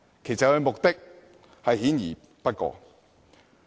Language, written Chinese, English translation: Cantonese, 其目的明顯不過。, Their intention cannot be clearer